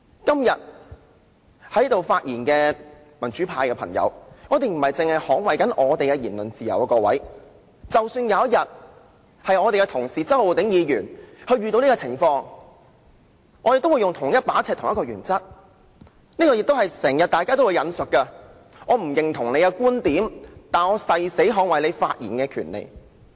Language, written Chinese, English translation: Cantonese, 今天發言的民主派議員不僅是要捍衞本身的言論自由，假使有一天周浩鼎議員遇到這種情況，我們行事也會用同一把尺、按同一個原則，就正如大家經常引述的一句話："我不認同你的觀點，但我誓死捍衞你發言的權利"。, Pro - democracy Members who speak today not only have to defend their freedom of speech we will also apply the same yardstick and the same principle in dealing with cases that involve say Mr Holden CHOW in the future . Members often quote the saying I disapprove of what you say but I will defend to the death your right to say it